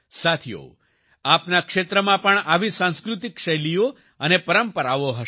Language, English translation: Gujarati, Friends, there will be such cultural styles and traditions in your region too